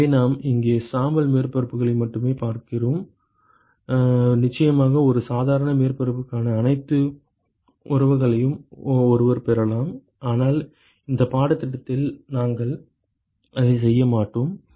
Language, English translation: Tamil, So, we will look at only gray surfaces here, of course one could derive all the relationships for a normal surface, but we will not do that in this course ok